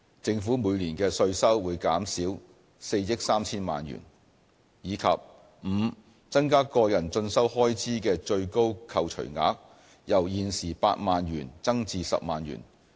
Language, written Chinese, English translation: Cantonese, 政府每年的稅收會減少4億 3,000 萬元；及 e 增加個人進修開支的最高扣除額，由現時8萬元增至10萬元。, This measure will reduce tax revenue by 430 million a year; and e increasing the deduction ceiling for self - education expenses from 80,000 to 100,000